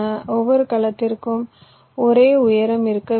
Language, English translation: Tamil, this cells have this same height